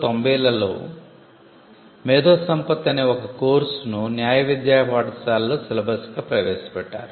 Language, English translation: Telugu, Intellectual property also was introduced as a syllabus in law schools that happened in the 1990s